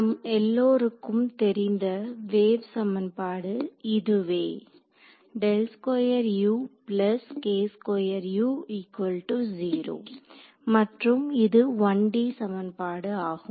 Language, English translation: Tamil, This is simple 1D wave equation we know all know how to solve it right you